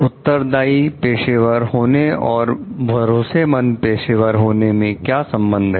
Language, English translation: Hindi, And what is the relationship between being a responsible professional and being a trustworthy professional